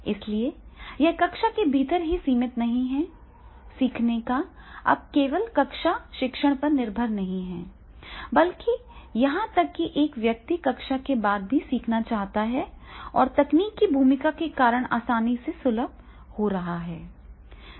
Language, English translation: Hindi, So it is not restricted within the classroom, learning is not now depended not only on the classroom learning rather than if the person is wants to learn even after the classroom and that is becoming easy access because of the role of technology